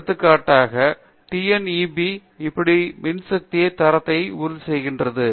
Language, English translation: Tamil, Now, how does electrical TNEB, for example, ensure the quality of power, right